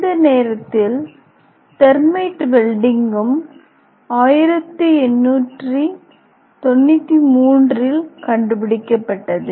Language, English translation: Tamil, In this time thermite welding was also invented in the year of 1893